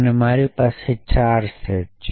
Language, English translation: Gujarati, And I have 4 set